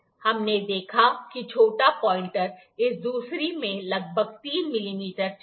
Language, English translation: Hindi, We saw that the small gauge, the small pointer moved about 3 mm in this distance